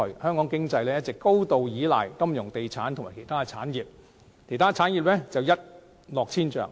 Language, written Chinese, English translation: Cantonese, 香港經濟一直高度依賴金融地產及相關產業，其他產業卻一落千丈。, The economy of Hong Kong has always relied heavily on the financial and property sectors and their associated traders while other industries have declined drastically